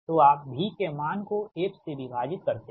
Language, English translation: Hindi, that means v x is equal to v